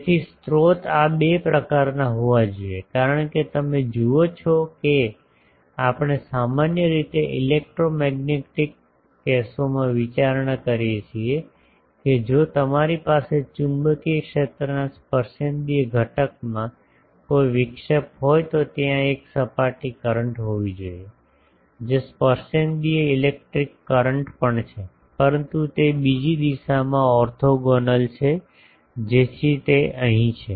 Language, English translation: Gujarati, So, sources should be of these 2 type because you see we generally considered in the electromagnetic cases; that if you have a discontinuity in the tangential component of the magnetic field there should be a surface current, which is also tangential electric current, but it is in a another direction orthogonal to the in direction so that is here